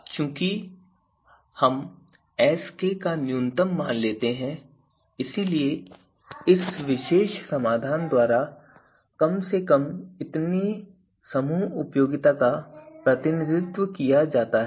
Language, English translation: Hindi, So we take the minimum of Sk, so at least that much of you know group utility is going to be represented by this particular solution